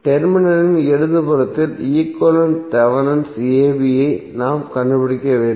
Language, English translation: Tamil, We need to find out Thevenin equivalent to the left of terminal a b